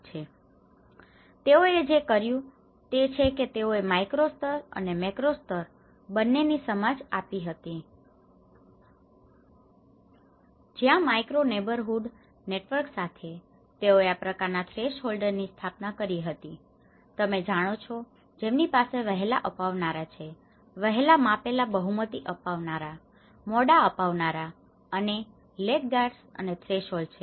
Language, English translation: Gujarati, And what they did was; they did both the micro level and the macro level understanding where with a micro neighbourhood networks, they set up this kind of threshold you know the which have the early adopters, early measured majority adopters, late majority and laggards and these threshold; what are these threshold; very low threshold, low threshold, high threshold, very high threshold